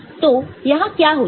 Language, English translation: Hindi, So, what is done here